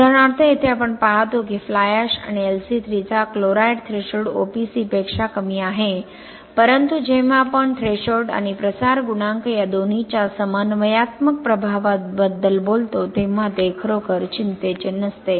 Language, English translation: Marathi, For example, here we see that chloride threshold of fly ash and LC3 are lower than that of OPC but that is not really a concern when you talk about synergistic effect of both threshold and diffusion coefficient